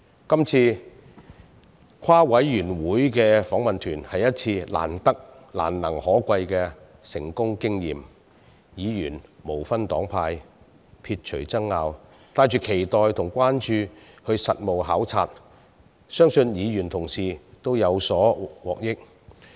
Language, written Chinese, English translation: Cantonese, 今次的聯席事務委員會訪問團是一次難能可貴的成功經驗，議員無分黨派，撇除爭拗，帶着期待及關注進行實務考察，相信議員同事們都有獲益。, The duty visit conducted by the joint - Panel delegation this time is one valuable and successful experience . Members from different political parties and groups have put aside their differences and disputes to take part in the visit with expectation and interests